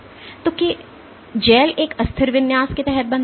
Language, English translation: Hindi, So, that the gel forms under an unstressed configuration